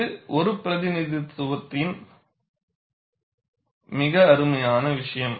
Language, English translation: Tamil, And this is a very nice piece of a representation